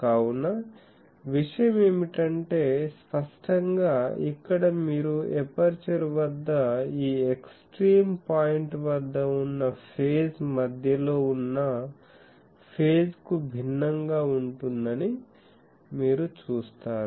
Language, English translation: Telugu, So, the point is; obviously, here you see that at the aperture the phase at this extreme point is different from the phase at the center